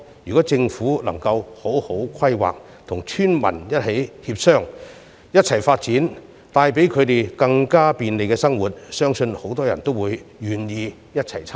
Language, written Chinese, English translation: Cantonese, 如政府能好好作出規劃，與村民一起協商和發展，帶給他們更加便利的生活，相信很多村民均願意一同參與。, If a good planning can be made by the Government in consultation with villagers for development plan which will bring greater convenience to their daily lives I am sure many of them will be willing to participate in the plan